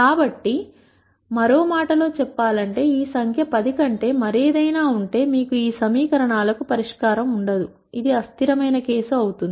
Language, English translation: Telugu, So, in other words if this number is anything other than 10, you will have no solution to these equations, this will become a inconsistent case